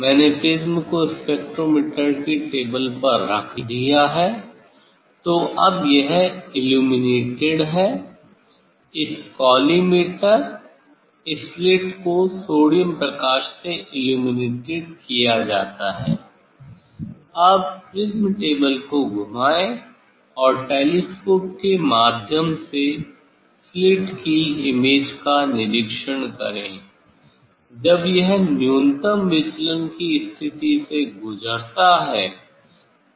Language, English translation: Hindi, I have placed the prism on the spectrometer table, Now, so this now this is illuminated this collimator the slit is illuminated with the sodium light with the sodium light, Now, rotate the prism table and observe the image of the slit through the telescope as it passes through the minimum deviation position